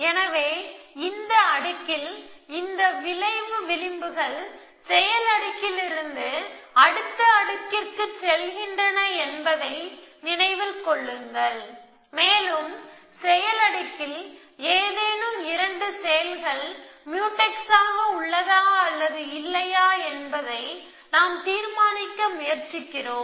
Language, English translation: Tamil, So, that is in the layer, remember that this effect links go from the action layer to the next layer and we are trying to decide whether any 2 actions in the action layer or Mutex or not